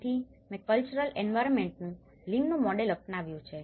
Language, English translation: Gujarati, So, I have adopted Lim’s model of cultural environment